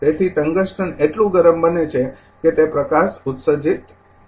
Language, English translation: Gujarati, So, tungsten becomes hot enough so, that light is emitted